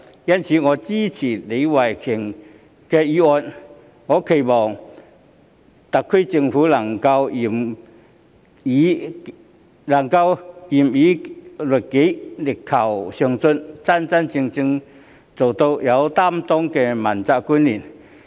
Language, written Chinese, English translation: Cantonese, 因此，我支持李慧琼議員的議案，並期望特區政府官員能夠嚴以律己、力求上進，真正成為有擔當的問責官員。, I will therefore support Ms Starry LEEs motion and it is my hope that officials of the SAR Government will exercise strict self - discipline strive vigorously for progress and become accountability officials with a genuine sense of commitment